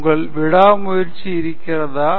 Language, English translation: Tamil, Do you have the tenacity